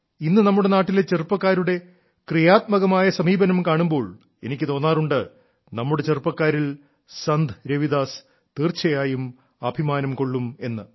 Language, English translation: Malayalam, Today when I see the innovative spirit of the youth of the country, I feel Ravidas ji too would have definitely felt proud of our youth